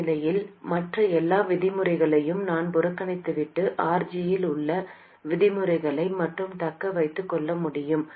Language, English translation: Tamil, In this case I can neglect all the other terms and retain only the terms containing RG